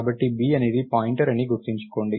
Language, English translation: Telugu, So, remember B is a pointer